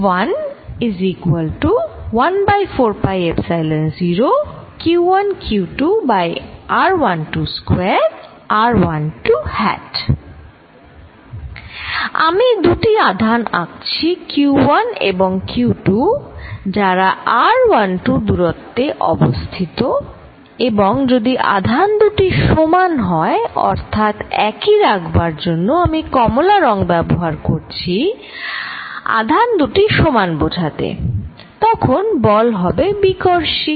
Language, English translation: Bengali, I am drawing two charges q 1 and q 2 separated by a distance r 1 2 and if the charges are the same, so it is for same I am going to use the color orange with the charges of the same, then the force is repulsive